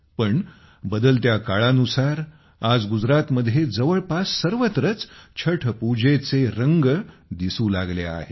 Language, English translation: Marathi, But with the passage of time, the colors of Chhath Puja have started getting dissolved in almost the whole of Gujarat